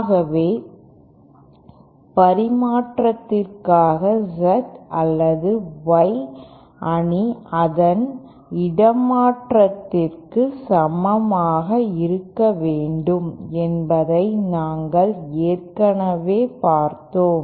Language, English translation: Tamil, So for reciprocity we already saw that the Z or Y matrix should be equal to its transplacement